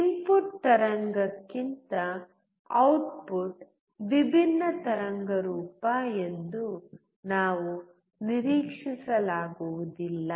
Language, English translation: Kannada, We cannot expect the output to be a different waveform than the input wave